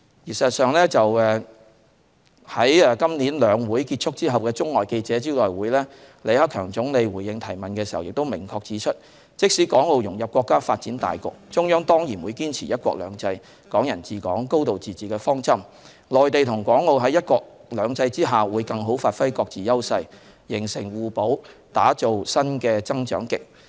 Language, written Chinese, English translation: Cantonese, 事實上，在今年"兩會"結束後的中外記者招待會上，李克強總理回應提問時亦明確指出，即使港澳融入國家發展大局，中央仍然會堅持"一國兩制"、"港人治港"、"高度自治"的方針；內地和港澳在"一國兩制"下，會更好發揮各自優勢，形成互補，打造新的增長極。, In fact Premier LI Keqiang in response to a question asked in the press conference for local and overseas media after the conclusion of the Two Sessions this year also clearly said that notwithstanding the integration of Hong Kong economy into the overall development of the country the Central Authorities still adhered to the principles of one country two systems Hong Kong people administering Hong Kong and a high degree of autonomy . The Mainland and Hong Kong and Macao under one country two systems would all capitalize on our own edges to complement each other for the development of new areas of growth